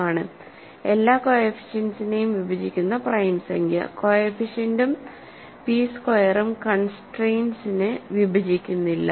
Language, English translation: Malayalam, So, this is because p divides all the coefficients here other than the first coefficient which is 1 and p squared does not divide the constant coefficient